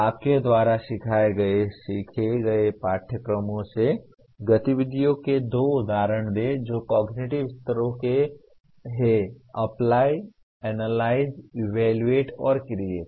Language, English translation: Hindi, Give two examples of activities from the courses you taught or learnt that belong to the cognitive levels; Apply, Analyze, Evaluate, and Create